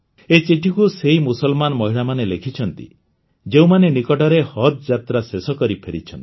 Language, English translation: Odia, These letters have been written by those Muslim women who have recently come from Haj pilgrimage